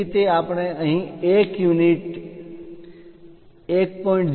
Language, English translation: Gujarati, So, that is what we are showing here as 1 unit 1